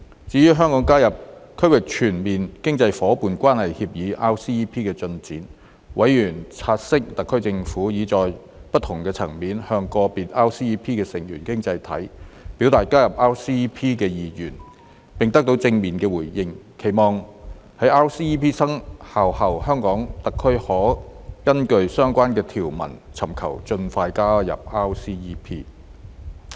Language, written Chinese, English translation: Cantonese, 至於香港加入《區域全面經濟伙伴關係協定》的進展，委員察悉特區政府已在不同層面，向個別 RCEP 成員經濟體表達加入 RCEP 的意願，並得到正面回應，期望在 RCEP 生效後，香港特區可根據相關條文尋求盡快加入 RCEP。, As regards the progress for Hong Kongs accession to the Regional Comprehensive Economic Partnership RCEP members noted that the HKSAR Government had indicated to individual RCEP participating economies at various levels Hong Kongs keen interest in joining RCEP and received positive responses that Hong Kong might apply for accession to RCEP in accordance with the relevant provisions after its entry into force